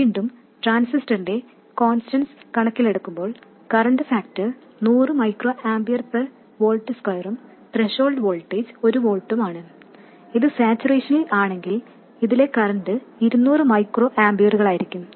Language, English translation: Malayalam, Again, given the constants of the transistor, the current factor being 100 microamper per volt square and the threshold voltage being 1 volt, the current in this if it is in saturation would be 200 microampiers